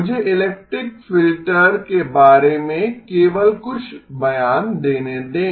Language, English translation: Hindi, Let me just make a couple of statements about the elliptic filter